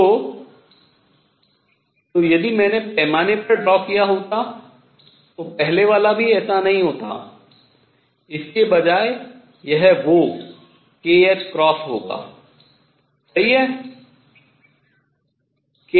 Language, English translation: Hindi, So, if I would draw to the scale even the first one would not be like this, instead it will be that k h cross is right along k h